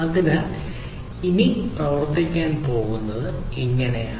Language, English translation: Malayalam, So, this is how it is going to work